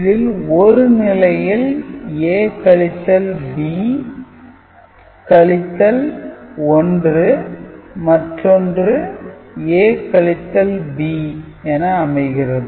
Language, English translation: Tamil, So, in one case it is A minus B minus 1 and other is A minus B